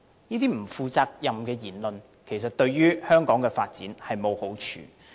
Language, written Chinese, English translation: Cantonese, 這些不負責任的言論，其實對香港的發展沒有好處。, Such irresponsible remarks are not constructive to Hong Kongs development at all